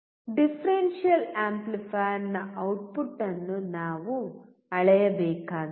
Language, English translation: Kannada, We have to measure the output of the differential amplifier